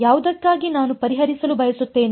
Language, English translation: Kannada, Which I want to solve for